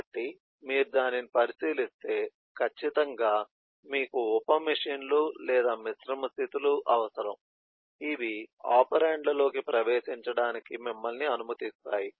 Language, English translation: Telugu, so, eh, if you, if you look into that, then certainly you need sub machines or composite states which allow you to enter operands